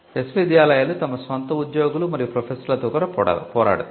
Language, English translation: Telugu, But universities are also fought with their own employees and professors